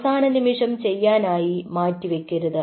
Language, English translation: Malayalam, do not leave it for the last minute